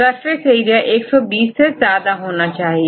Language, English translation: Hindi, Surface area more than 120